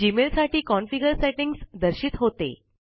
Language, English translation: Marathi, The configuration settings for Gmail are displayed